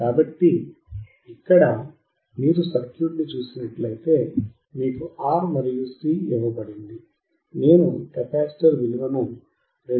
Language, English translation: Telugu, So, here if you see the circuit R is given, C is given, I am using the value of capacitor equals 2